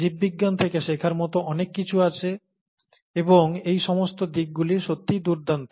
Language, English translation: Bengali, There’s so much to learn from biology and all these aspects are really wonderful